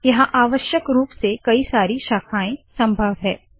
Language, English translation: Hindi, There can be as many branches as required